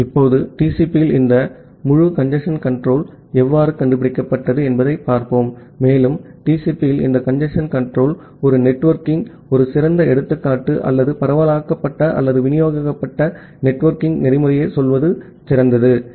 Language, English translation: Tamil, Now, let us see that how this entire congestion control in TCP was invented, and this congestion control in TCP is a nice example of a networking or a better to say decentralized or distributed networking protocol